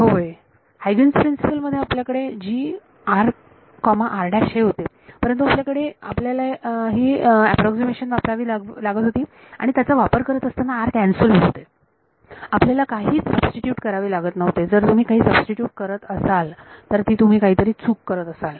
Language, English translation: Marathi, Yeah in the Huygens principle we have g of r comma r prime, but then you have to use these approximations and when you use this approximation that value of r cancelled off you do not need to substitute anything, if you have substituting it you are doing something wrong